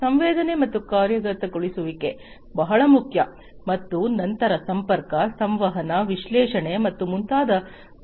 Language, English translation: Kannada, Sensing and actuation is very important and then comes issues of connectivity, communication, analytics, and so on